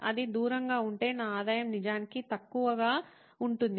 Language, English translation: Telugu, If it’s far away, my revenue is actually low